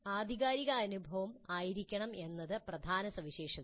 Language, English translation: Malayalam, That is the meaning of the experience being authentic